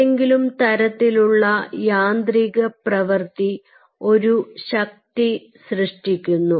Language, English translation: Malayalam, some form of mechanical activity generates a force